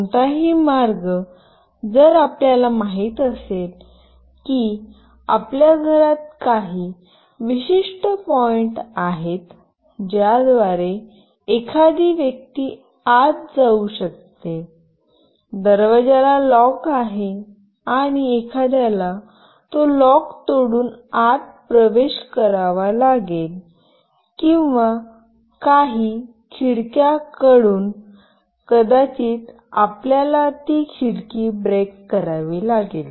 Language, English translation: Marathi, Any way if you know that there are certain points in your house through which a person can enter; the door there is a lock and someone has to break that lock and have to enter, or it can be from some windows anyway you have to break that window